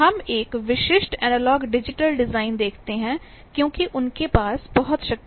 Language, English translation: Hindi, We call a typical analogue digital design that we see there because they have plenty of power